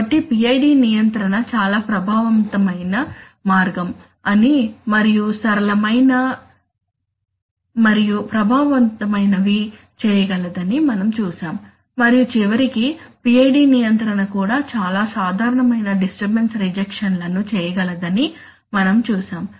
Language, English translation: Telugu, So we saw that the PID control is a very effective ways and simple and effective way of doing that and eventually we say, we saw that PID control can also do some amount of very common disturbance rejections